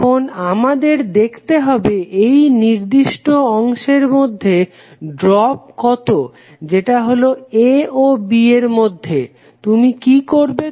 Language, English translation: Bengali, Now, we have to see what isthe drop in this particular segment that is between A and B